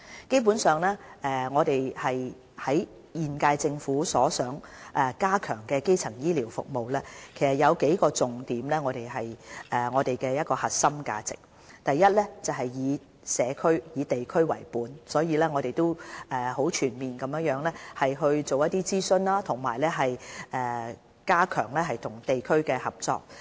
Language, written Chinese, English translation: Cantonese, 基本上，現屆政府所想加強的基層醫療服務，其實有數個重點是我們的核心價值：第一是以社區、地區為本，我們很全面地進行諮詢，加強與地區的合作。, Basically the major services to be provided by the current - term Government under the enhanced primary health care system underline some of our core values . First the services are community or district orientated . In the pursuit of the community - based and district - based services we have carried out comprehensive consultation in the district level to strengthen cooperation with districts